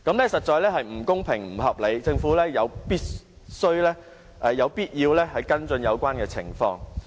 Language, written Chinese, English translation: Cantonese, 這實在是不公平、不合理，政府有必要跟進有關情況。, This is indeed unfair and unreasonable . The Government has to follow up the situation